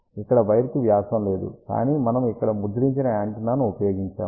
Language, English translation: Telugu, Here there is a not a wire diameter, but we have used a printed antenna over here